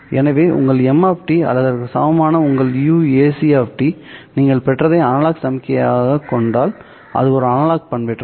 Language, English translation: Tamil, So, if your M of T or equivalently if your UAC of T happens to be an analog signal, what you have obtained is an analog modulation